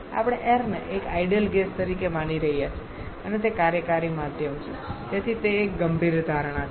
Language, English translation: Gujarati, We are assuming air as the ideal gas here as an ideal gas and that is the working medium so that is one serious assumption